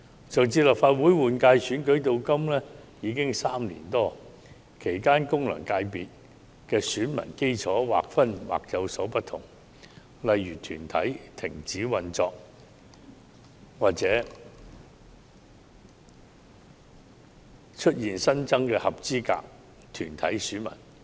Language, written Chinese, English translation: Cantonese, 自上次立法會換屆選舉至今已有3年多，其間功能界別選民基礎的劃分或已有所不同，例如某些團體停止運作或出現新增的合資格團體選民。, It has been more than three years since the last Legislative Council General Election; therefore the electorate of FCs may no longer be the same . For example while some corporates may have ceased operation some new eligible corporate electors may have come up